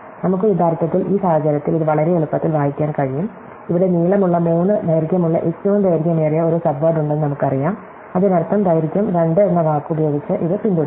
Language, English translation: Malayalam, Well, we can actually in this case, very easily read it off, we know that there is a longest common subword here of length 3; that means, that it must be succeeded by the word length 2 and so on